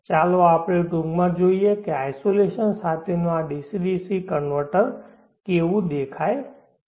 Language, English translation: Gujarati, Let us briefly look at how this DC DC converter with isolation looks like